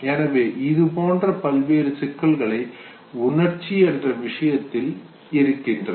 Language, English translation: Tamil, So the whole lot of issues are involved in emotion